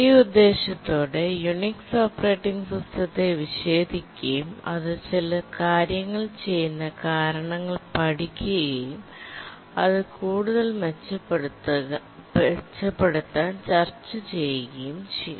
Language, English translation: Malayalam, And with this intention, we are trying to dissect the Unix operating system and find why it does certain things and how it can be improved